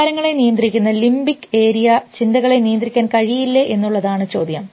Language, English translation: Malayalam, So, this whole question whether this limbic area which controls the emotions and the thinking area does not control